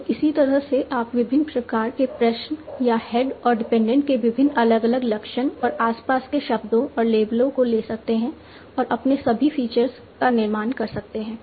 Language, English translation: Hindi, So like that you can take various different questions or various different characteristics of head independent surrounding words and the labels and construct all your features